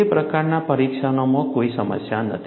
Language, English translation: Gujarati, Those kind of tests, there is no problem